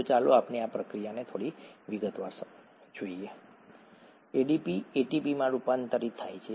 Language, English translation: Gujarati, So let us look at this process in some detail, ADP getting converted to ATP